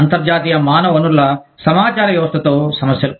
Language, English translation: Telugu, Problems with international human resource information systems